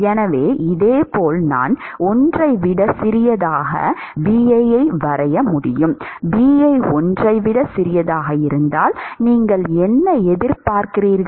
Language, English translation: Tamil, So, similarly I could draw for Bi much smaller than 1, if Bi is much smaller than 1, what would you expect